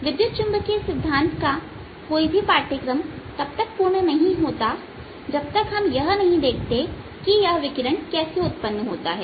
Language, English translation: Hindi, no course on e m theory is going to complete until we see how this radiation arise this